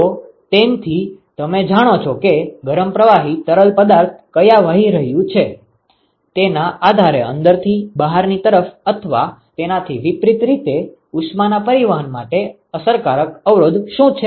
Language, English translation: Gujarati, So, that is what tells you what is the effective resistance for heat transport from the inside to the outside or vice versa, depending upon where the hot fluid is flowing